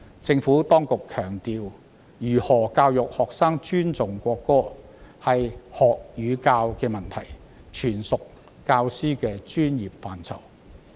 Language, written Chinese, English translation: Cantonese, 政府當局強調，如何教育學生尊重國歌是學與教的問題，全屬教師的專業範疇。, The Administration has stressed that how to educate students to respect the national anthem is a matter of learning and teaching which falls entirely under the professional purview of teachers